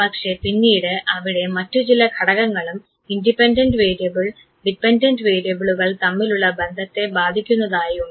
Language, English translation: Malayalam, These are those variables which affects the relationship between the independent and the dependent variable